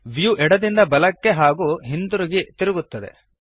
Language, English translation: Kannada, The view rotates left to right and vice versa